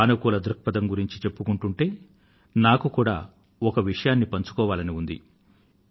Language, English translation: Telugu, When we all talk of positivity, I also feel like sharing one experience